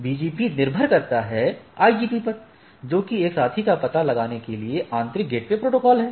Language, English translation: Hindi, BGP relies on the IG IGP that is, the internal gateway protocols to locate a peer